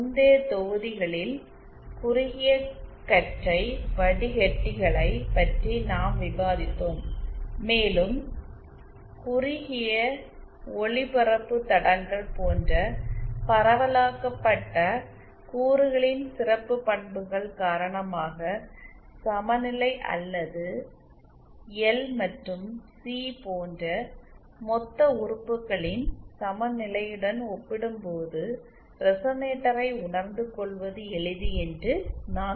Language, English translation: Tamil, In the previous modules we had discussed about narrow ban filters and I have said that because of the special properties of the distributed elements like shortened transmission lines it is actually easier to realize resonator as compared to lumps equivalence or equivalence of lumped elements like l and c